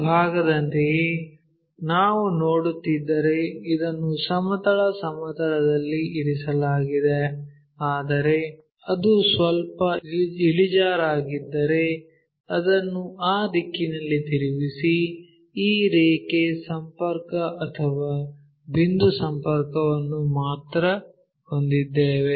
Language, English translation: Kannada, Something like this part if we are looking this is resting on horizontal plane, but if it is slightly inclined maybe rotate it in that direction only this line contact or point contact we have it